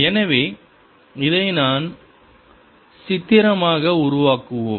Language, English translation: Tamil, so let's make this pictorially